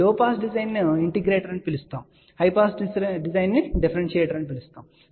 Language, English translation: Telugu, By the way, this low pass design is also known as a integrator and high pass is also known as differentiator